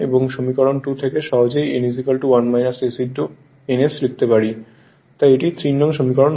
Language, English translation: Bengali, So, from equation 2 easily you can write n is equal to 1 minus s into n s so this is equation 3